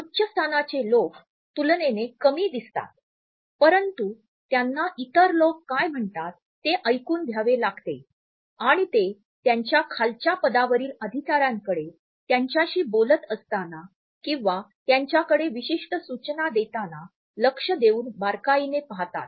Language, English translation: Marathi, People of higher status look relatively less while they have to listen to what other people say and they look at their subordinates more while they are talking to them or passing on certain instructions to them